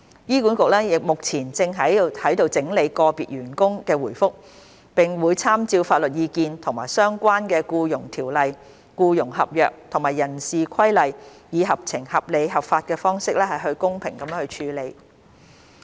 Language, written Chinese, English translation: Cantonese, 醫管局目前正在整理個別員工的回覆，並會參照法律意見及相關《僱傭條例》、僱傭合約及人事規例，以合情、合理、合法的方式公平處理。, HA is currently processing the replies from individual staff members and will follow up the matter in accordance with legal advice the Employment Ordinance relevant employment contracts and human resources regulations in a fair reasonable rational and lawful manner